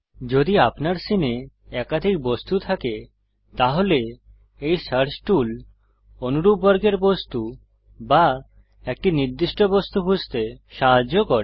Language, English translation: Bengali, If your scene has multiple objects, then this search tool helps to filter out objects of similar groups or a particular object in the scene